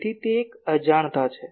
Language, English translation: Gujarati, So, it is an unintentional one